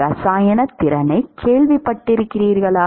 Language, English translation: Tamil, Have you heard chemical potential